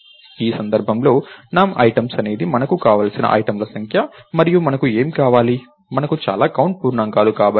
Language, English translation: Telugu, In this case, num items is the number of items that we want and what do we want, we want integers of so many ah